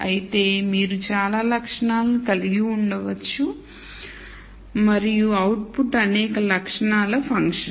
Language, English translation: Telugu, However, you could have many attributes and the output being a function of many attributes